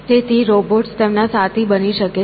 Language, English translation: Gujarati, So, robots can be companions and so on